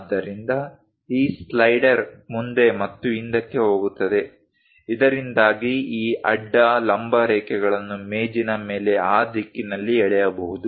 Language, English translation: Kannada, So, these slider goes front and back, so that this horizontal, vertical lines can be drawn in that direction on the table